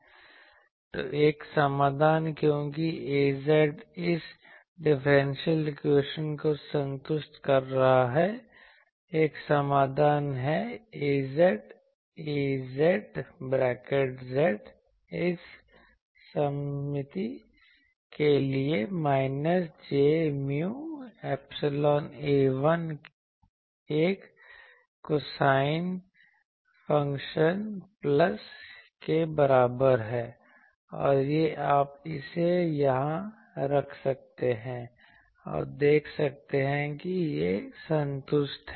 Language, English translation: Hindi, So one solution, because A z is satisfying this differential equation: one solution is A z, A z z is equal to minus j mu epsilon A 1 one cosine function plus to have this symmetry, and this you can put it here, and see that it satisfies